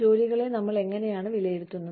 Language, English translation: Malayalam, How do we evaluate our jobs